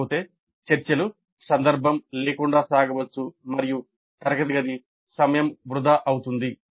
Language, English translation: Telugu, Otherwise the discussions can go off tangentially and the classroom time can get wasted